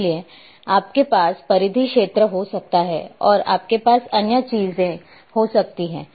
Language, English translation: Hindi, Therefore, you can have the perimeter area and you can have other thing